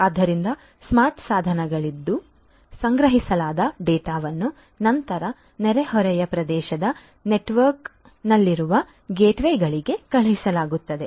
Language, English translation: Kannada, So, the data that are collected from the smart devices are then sent to the gateways in the neighborhood area network